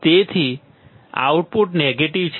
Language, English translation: Gujarati, So, output is my negative